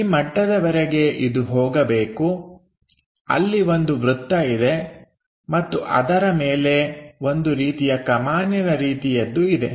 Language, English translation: Kannada, So, up to this level something supposed to go here there is a circle and above that there is something like that curve arch